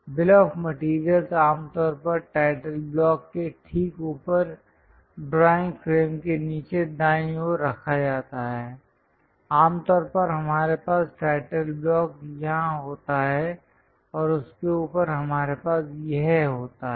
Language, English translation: Hindi, The bill of materials is usually placed at the bottom right of the drawing frame just above the title block usually we have title block here above that we have this